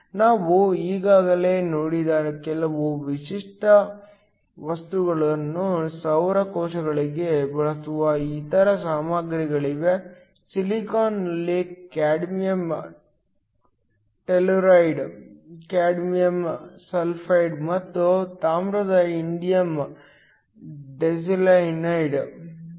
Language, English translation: Kannada, There are other materials that are used for solar cells some of the typical materials we already saw, silicon have cadmium telluride, cadmium sulphide and then copper indium diselenide